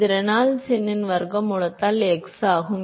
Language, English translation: Tamil, It is x by square root of Reynolds number right